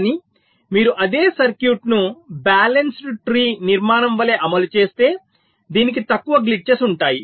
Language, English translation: Telugu, but if you implement the same circuit as a balanced tree structure, this will be having fewer glitches